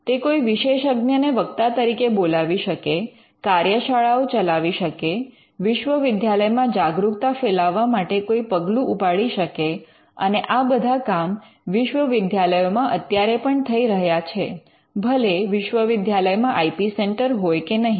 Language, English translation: Gujarati, They may invite an expert speaker, they may conduct workshops; they may have some kind of an awareness measure done in the university and all these things are right now being done in universities whether they have an IP centre or not